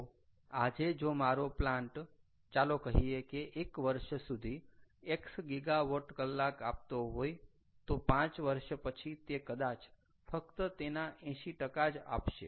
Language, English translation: Gujarati, so today, if my plant, lets say, gives ah x gigawatt hour over a period of one year, after five years it is going to be maybe only eighty percent of that because the system has degraded